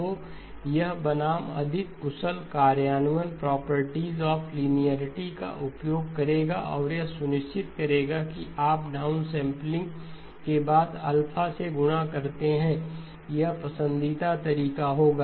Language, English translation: Hindi, So this versus the more efficient implementation would be use the properties of linearity and make sure that you do the down sampling followed by the multiplier alpha this would be the preferred approach